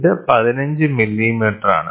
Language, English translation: Malayalam, So, this is 15 millimeter